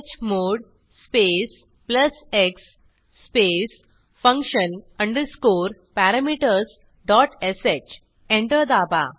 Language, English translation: Marathi, Type chmod space plus x space function underscore parameters dot sh Press Enter